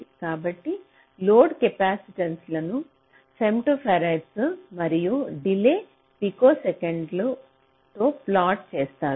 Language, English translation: Telugu, so load capacitances are plotted in femto farads and delay in picoseconds